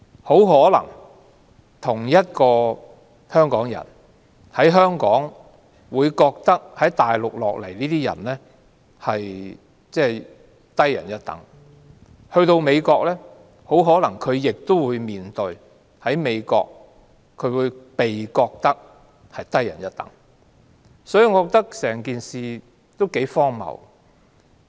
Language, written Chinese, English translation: Cantonese, 大家同是香港人，但從內地來港的人總被視為低人一等，他們到了美國，也很可能會被視為低人一等，所以整件事也頗荒謬。, They are all Hong Kong people but those who came from the Mainland are always treated as an inferior . If they go to the United States they may also be treated as an inferior . The whole thing is absurd